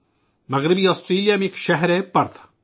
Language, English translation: Urdu, There is a city in Western Australia Perth